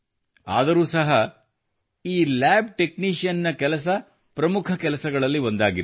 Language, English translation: Kannada, But still, this lab technician's job is one of the common professions